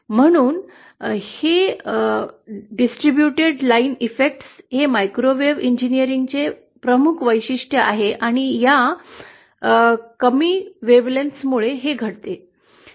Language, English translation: Marathi, So that is why, this distributed line effects are a prominent feature of microwave engineering and that happens because of this low wavelength